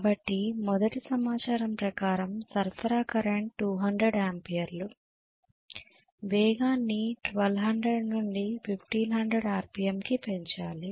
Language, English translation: Telugu, So the first abduction says supply current is 200 amperes right, speed has to be increased from 1200 to 1500 RPM okay